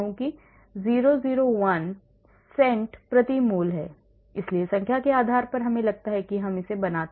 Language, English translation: Hindi, 001 cals per mol so depending upon number I feel I make